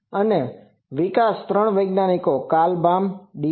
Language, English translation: Gujarati, It was developed by three scientists Carl Baum, D